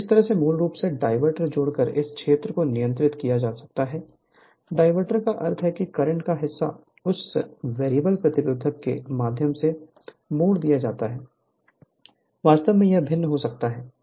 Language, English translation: Hindi, So, by this way part of your basically, you can control this field current by adding a diverter, diverter means part of the current is diverted through this variable resistance, you can vary this